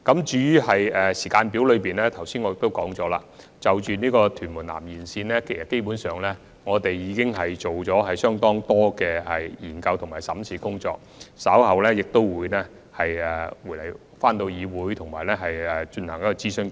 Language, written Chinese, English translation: Cantonese, 至於落實時間表方面，我剛才已經指出，當局基本上已就屯門南延線進行了相當多的研究和審視工作，稍後便會向議會進行諮詢。, As for the implementation timetable I already pointed out just now that the Government had basically conducted a lot of studies on and reviewed the proposal for the Tuen Mun South Extension and would consult the Legislative Council later on